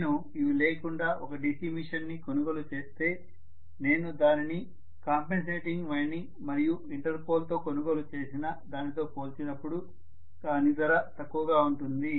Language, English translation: Telugu, If I buy a DC machine without these things it will be less costly as compared to, when I buy it with compensating winding as well as Interpol, so it will be definitely costlier